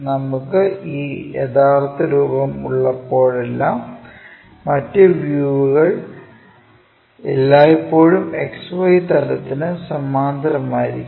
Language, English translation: Malayalam, Whenever we have this true shape, true lengths other views always be parallel to XY plane